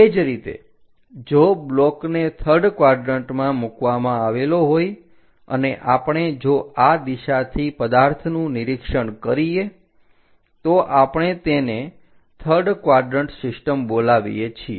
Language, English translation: Gujarati, Similarly, if the block is kept in the third quadrant and we are making objects observations from that direction, we call that one as third quadrant system